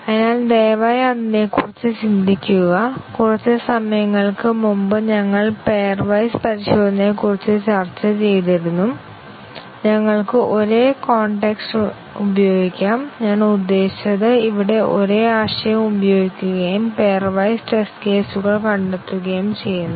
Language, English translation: Malayalam, So, please think about it, we had discussed about pair wise testing some time back and we can use the same context, I mean same concept here and derive the pair wise test cases